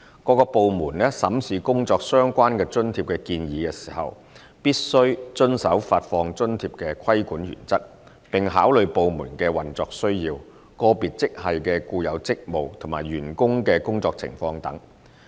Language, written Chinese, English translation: Cantonese, 各部門審視工作相關津貼的建議時，必須遵守發放津貼的規管原則，並考慮部門的運作需要、個別職系的固有職務及員工的工作情況等。, Departments shall comply with the governing principles of JRAs when considering any proposal in relation to JRAs having regard to the operational needs of the department inherent duties of individual grade and working conditions of staff